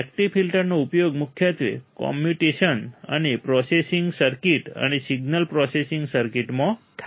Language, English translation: Gujarati, Active filters are mainly used in communication and processing circuits and signal processing circuit